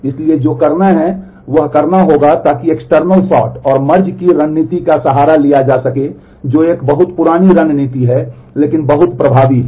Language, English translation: Hindi, So, what will have to do is will have to take recourse to external sort and merge strategy which is a very old strategy, but very effective